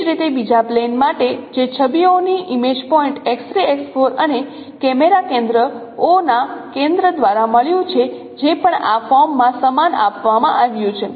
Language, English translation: Gujarati, Similarly for the second plane which is formed by the images, image point X3 X4 and the and the center of camera O that is also given similarly in this form